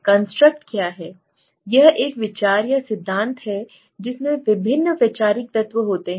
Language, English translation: Hindi, It is an idea or theory containing various conceptual elements